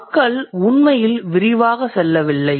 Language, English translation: Tamil, So, people didn't really go into much detailing